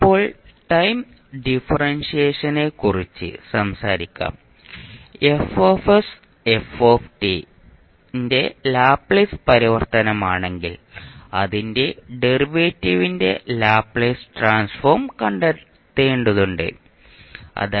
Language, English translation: Malayalam, Now let’s talk about the time differentiation if F s is the Laplace transform form of f t then we need to find out the Laplace transform of its derivative